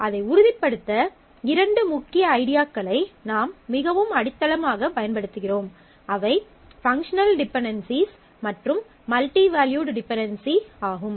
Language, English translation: Tamil, So, to ensure that; we make use of two key ideas more foundationally; functional dependencies and then, multivalued dependencies